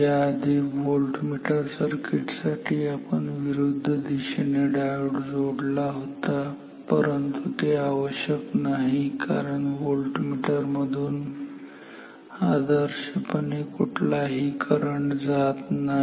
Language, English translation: Marathi, For voltmeter so, previously for the voltmeter circuit we did lend put the put a diode in the opposite direction that is not so necessary because volt meters are ideally not supposed to draw any current